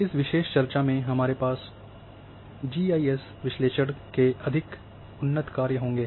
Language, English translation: Hindi, In this particular discussion we will have a more advanced functions of a GIS analysis